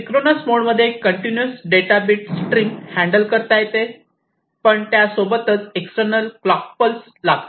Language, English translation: Marathi, Synchronous meaning that in this particular mode a continuous stream of bits of data can be handled, but requires an external clock pulse